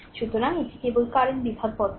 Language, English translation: Bengali, So, it is current division method only